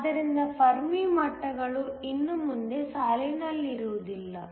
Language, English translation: Kannada, So, that the Fermi levels no longer line up